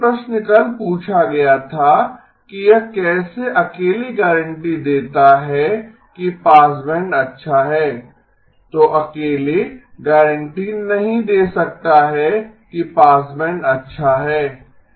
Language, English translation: Hindi, The question that was asked yesterday is how does that alone guarantee that the passband is good, that alone cannot guarantee the passband is good